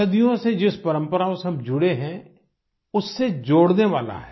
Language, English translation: Hindi, It's one that connects us with our traditions that we have been following for centuries